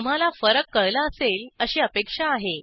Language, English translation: Marathi, Hope the difference is clear to you